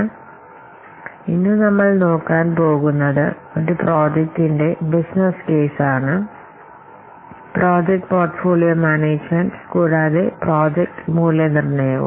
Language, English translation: Malayalam, So the concepts today we will cover our business case for a project, project full portfolio management and project evaluation